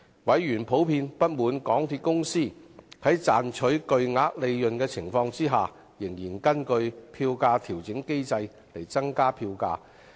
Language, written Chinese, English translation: Cantonese, 委員普遍不滿港鐵公司在賺取巨額利潤的情況下，仍根據票價調整機制增加票價。, Members were generally dissatisfied that MTRCL would increase the fares according to FAM despite its hefty profits